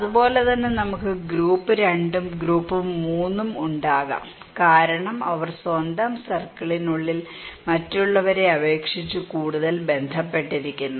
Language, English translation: Malayalam, Like the same way, we can have group 2 and group 3 because they within their own circle is more connected than other